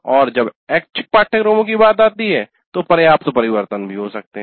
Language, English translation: Hindi, And when it comes to elective courses, substantial changes may also occur